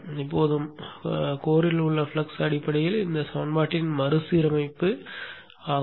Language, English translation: Tamil, Now the flux within the core is basically rearrangement of this equation